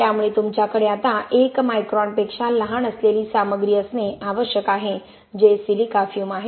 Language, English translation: Marathi, So you have to now have materials that are smaller than 1 micron which is silica fume